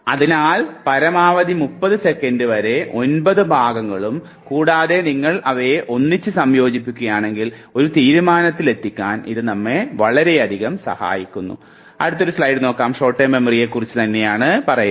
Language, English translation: Malayalam, So up to 30 seconds maximum of 9 chunks and if you combine them together, then this helps us a lot in terms of arriving at a decision